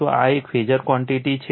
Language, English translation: Gujarati, This is a phasor quantity right